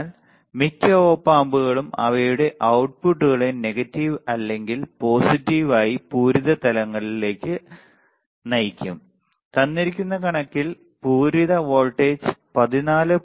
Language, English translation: Malayalam, But most op amps of the self will drive their outputs to a saturated level either negative or positive right for example, in the given figure what we see the output voltage saturated at value 14